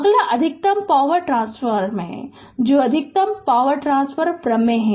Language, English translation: Hindi, Next one is the maximum power transfer right that is maximum power transfer theorem